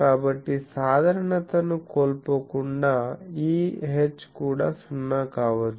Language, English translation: Telugu, So, without loss of generality we can say E H can be 0 also